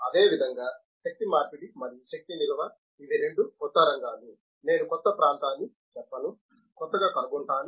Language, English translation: Telugu, In the same way energy conversion and energy storage, these are the two new areas, I will not say new area but newly finding acceptance